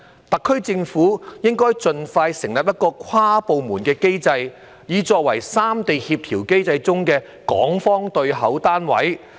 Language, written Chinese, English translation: Cantonese, 特區政府應該盡快設立一個跨部門單位，作為三地協調機制中的港方對口單位。, The SAR Government should set up an inter - departmental body expeditiously to serve as the Hong Kong counterpart under the coordination mechanism among the three places